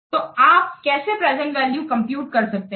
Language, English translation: Hindi, So, how we can compute the present value